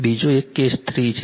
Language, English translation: Gujarati, Another one is the case 3